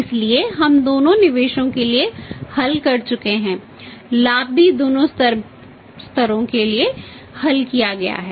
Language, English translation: Hindi, So, we have worked out for both investments profit is also worked out in both the levels